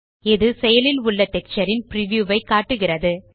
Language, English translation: Tamil, It shows the preview of the active texture